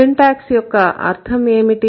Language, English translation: Telugu, And what is the meaning of syntax